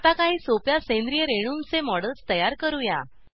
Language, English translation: Marathi, Lets now proceed to create models of some simple organic molecules